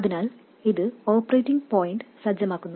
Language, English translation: Malayalam, So, this sets the operating point